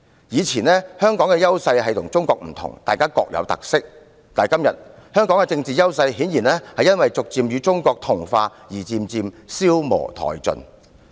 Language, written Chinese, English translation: Cantonese, 過往香港的優勢是與中國不同，大家各具特色，但今天香港的政治優勢顯然因為趨向與中國同化而漸漸消磨殆盡。, In the past Hong Kongs advantage was its difference from China and both places had its own special strengths but today Hong Kongs political strength has diminished to almost naught as a result of its assimilation with China